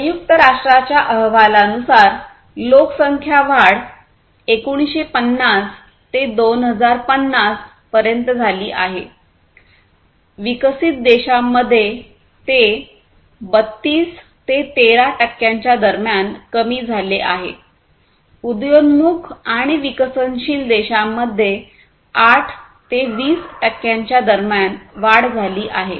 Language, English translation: Marathi, So, based on the United Nations report the population growth is from 1950 to 2050, reduced between 32 percent to 13 percent in developed countries and increased between 8 to 20 percent in emerging and developing countries